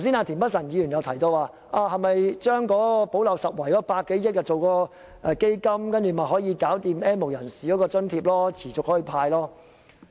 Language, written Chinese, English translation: Cantonese, 田北辰議員剛才提到，把用在"補漏拾遺"的100多億元成立基金，便可持續向 "N 無人士"派發現金津貼。, Just now Mr Michael TIEN said that if the 10 billion - odd for gap - plugging was used to set up a fund cash subsidy could be doled out to the N have - nots on an ongoing basis